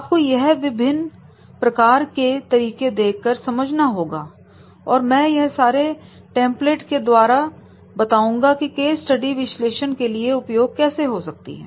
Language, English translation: Hindi, We have to also see that what are the different methods and I will demonstrate all the templates that is the how the case study can be analysis can be used